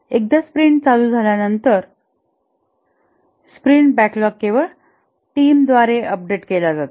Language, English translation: Marathi, Once the sprint starts, the sprint backlog is updated only by the team